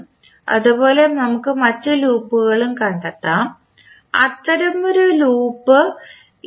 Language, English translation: Malayalam, Similarly, we can find other loops also, one such loop is this one